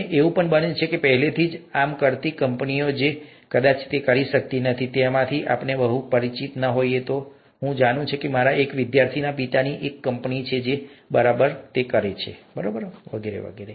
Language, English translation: Gujarati, And it so happens that there are companies doing this already, we may not have, we may not be very familiar with it, but I know of one of my students’ fathers having a company which does exactly this, and so on and so forth